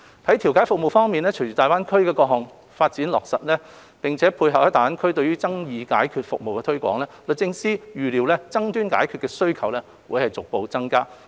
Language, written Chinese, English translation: Cantonese, 在調解服務方面，隨着大灣區的各項發展計劃逐步落實，並配合在大灣區對於爭議解決服務的推廣，律政司預料爭議解決的需求將會逐步增加。, On mediation services DoJ anticipates that as the various development projects in GBA are gradually implemented gradually and in order to tie in with the promotion of dispute resolution services in GBA there will be a gradual increase in demand for dispute resolution services